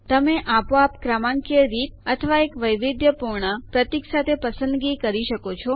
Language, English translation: Gujarati, You can choose between automatic numbering or a custom symbol